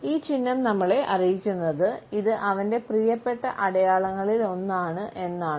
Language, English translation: Malayalam, Sign is letting us know, this is one of his favorite signs